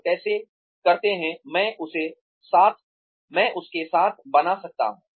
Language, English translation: Hindi, So, how do, I keep up with that